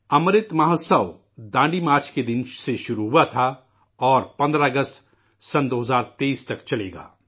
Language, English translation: Urdu, 'Amrit Mahotsav' had begun from the day of Dandi Yatra and will continue till the 15th of August, 2023